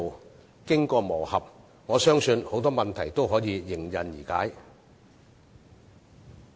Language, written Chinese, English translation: Cantonese, 我相信在經過磨合後，很多問題均可迎刃而解。, I believe many issues can be ironed out after gearing in